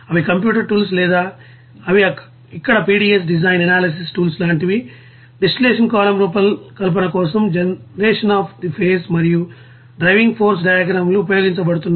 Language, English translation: Telugu, They are computer you know tools or they are like here PDS you know design analysis tools are there, generation of phase and driving force diagrams for the design of distillation column it is being used